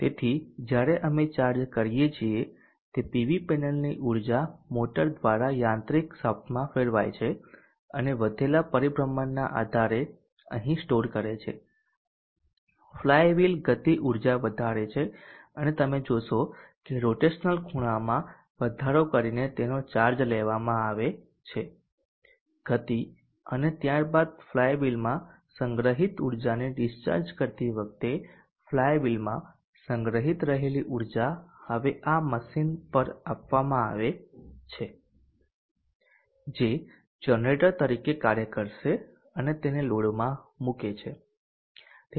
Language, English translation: Gujarati, So while we charge that is energy from the PV panel goes through the motor into the mechanical shaft and stores here by virtue of increased rotation the flywheel kinetic energy is increased and you will see that that is charged up by having increased rotational angular speed and then while discharging the energy stored in the flywheel the inertial energy that is stored in the flywheel is passed on to this machine now which will act as a generator and puts it into the load